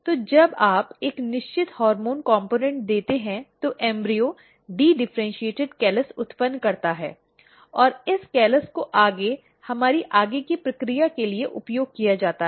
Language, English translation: Hindi, So, when you give a certain hormone component then the embryo generates dedifferentiated callus and this callus is further used for our further process